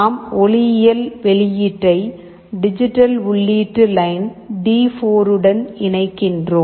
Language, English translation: Tamil, The optical output we are connecting to digital input line D4